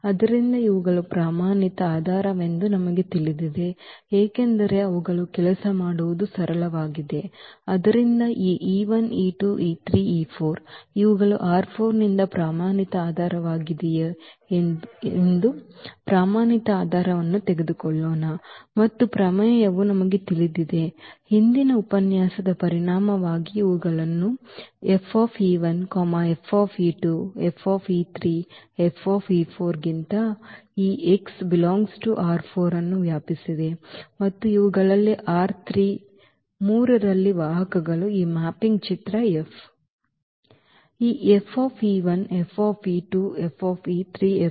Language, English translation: Kannada, So, we know that these a standard basis because they are simple to work with, so let us take whether standard basis here that this e 1, e 2, e 3, e 4 these are the standard basis from R 4 and we know that the theorem that result from the previous lecture that these e s span this x R 4 than this F e 1, F e 2, F e 3, F e 4 these are the vectors in R 3 and they will span actually the image of this mapping F